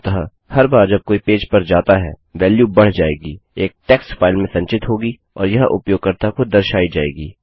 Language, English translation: Hindi, So every time someone enters the page, a value will be incremented, will be stored in a text file and it will be displayed to the user